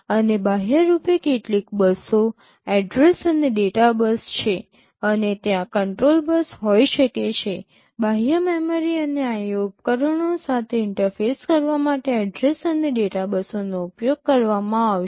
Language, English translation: Gujarati, And externally there are some buses, address and data bus and there can be control bus, address and data buses will be used to interface with external memory and IO devices